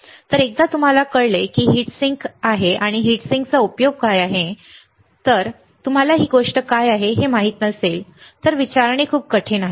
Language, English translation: Marathi, So, once you know that this is heat sink what is the use of heat sink right, but if you do not know what is this thing then it is very difficult to ask